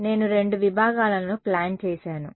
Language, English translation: Telugu, I have plotted two sections yeah